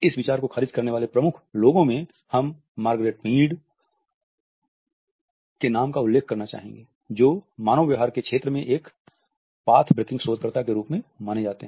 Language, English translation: Hindi, Among the prominent people who had rejected this idea we also have to mention the name of Margaret Mead who is also known for otherwise path breaking research in the field of human behavior